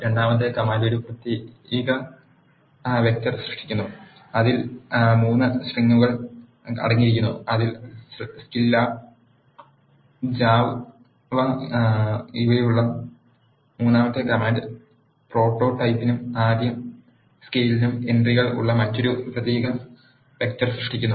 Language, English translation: Malayalam, The second command creates a character vector which contains 3 strings are Scilab and java; and the third command here is creating another character vector which is having entries for prototyping and first scale up